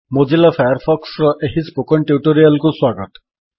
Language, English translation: Odia, Welcome to the this tutorial of Mozilla Firefox